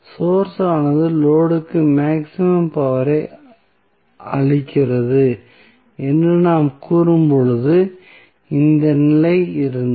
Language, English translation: Tamil, So, this was the condition when we say that the source is delivering maximum power to the load